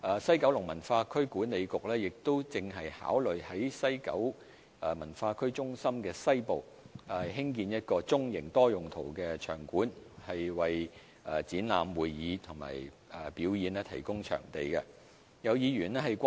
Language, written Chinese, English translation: Cantonese, 西九文化區管理局亦正考慮在西九文化區中心的西部，興建一個中型多用途的場館，為展覽、會議及表演提供場地。, Furthermore the West Kowloon Cultural District Authority is considering developing a medium - sized multi - purpose venue for exhibition convention and performance purposes in the western part of the West Kowloon Cultural District